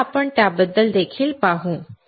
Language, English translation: Marathi, So, we will see about that also